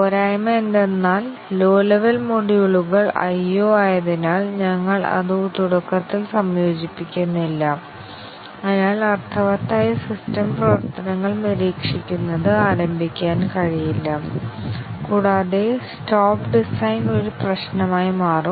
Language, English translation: Malayalam, The disadvantage is that since the low level modules are I/O and we do not integrate it in the beginning, so observing meaningful system functions may not be possible to start with and also stop design becomes a problem